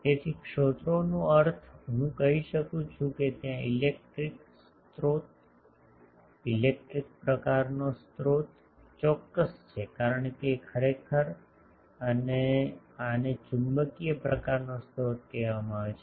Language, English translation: Gujarati, So, sources means I can say that there is a electric source, electric type of source to be precise because actually and this is called magnetic type of source